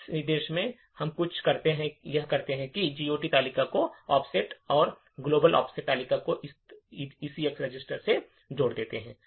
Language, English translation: Hindi, In this instruction what we do is add the offset of the GOT table, the global offset table to this ECX register